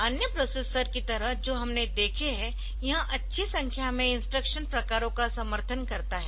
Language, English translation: Hindi, So, just like other processors that we have seen, it supports a good number of instruction types